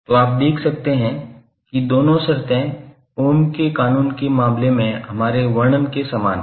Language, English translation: Hindi, So you can see that both of the terms are similar to what we describe in case of Ohm's Law